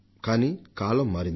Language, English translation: Telugu, But now times have changed